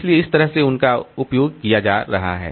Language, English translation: Hindi, So, that way they are being used